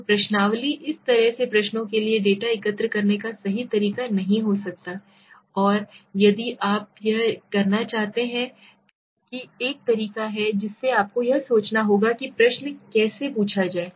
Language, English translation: Hindi, So questionnaire might not be the right way of collecting the data for such questions and if you want to do it also there has to be a way you have to think how to ask the question right